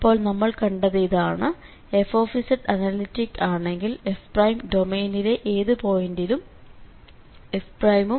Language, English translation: Malayalam, So what we have seen if fz is analytic we can get this f prime also at any point there in the domain